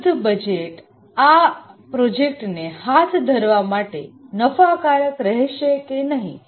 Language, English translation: Gujarati, Whether the budget that would be available would be profitable to carry out the project